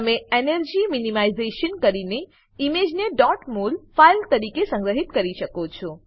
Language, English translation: Gujarati, You can do energy minimization and save the image as dot mol file